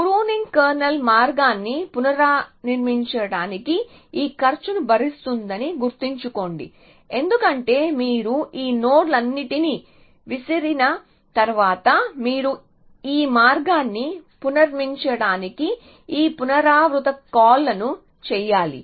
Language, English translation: Telugu, Remember that pruning kernel incurs this cost of reconstructing the path because once you are thrown away all these nodes you have to do all this recursive calls to reconstruct this path